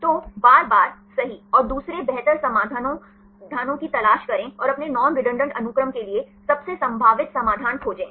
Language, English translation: Hindi, So, look for the other better solutions again and again right and to find the most probable solution for getting your non redundancy sequences